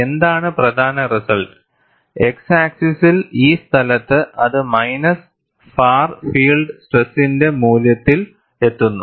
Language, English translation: Malayalam, What is the important result is, along the x axis, at this place, it reaches the value of minus of the far field stress